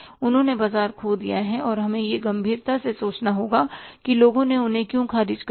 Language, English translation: Hindi, They have lost the market and we have to think it seriously why people have rejected them